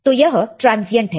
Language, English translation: Hindi, What is transient response